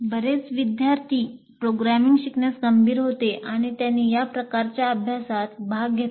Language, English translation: Marathi, A small number of students who are serious about learning programming, then they have participated in these kind of exercises